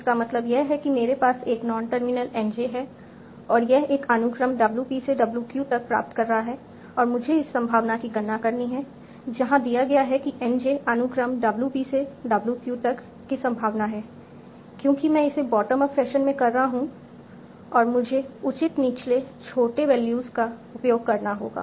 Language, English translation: Hindi, It means that I have a non terminal nj and that is deriving a sequence w p up to w p and i have to complete this probability given n j the probability of the sequence w p to w p because i am conducting i am doing it in a bottom fashion, I have to use the lower values